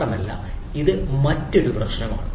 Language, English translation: Malayalam, so that is another problem